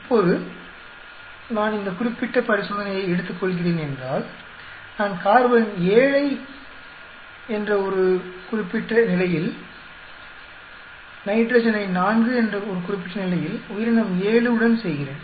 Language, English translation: Tamil, Now suppose I take this particular experiment, I am doing a carbon at a particular level of 7, nitrogen at a particular level 4 with organism seven